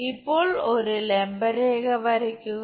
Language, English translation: Malayalam, Now draw a perpendicular line